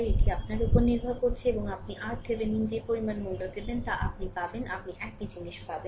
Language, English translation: Bengali, It is up to you and you will get whatever value you take R Thevenin, you will get the same thing